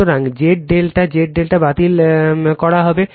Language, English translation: Bengali, So, Z delta Z delta will be cancelled